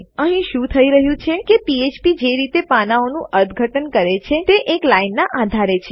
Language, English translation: Gujarati, What we have is the way php interprets the pages its on a single line basis